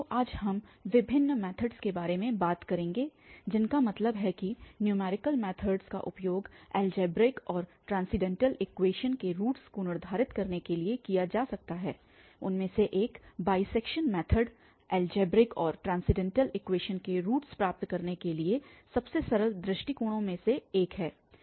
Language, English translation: Hindi, So, today will be talking about the several methods which I mean numerical methods that can be used for determining the roots of Algebraic and Transcendental Equations, one of them is the bisection method one of the simplest approaches to get roots of Algebraic and Transcendental Equations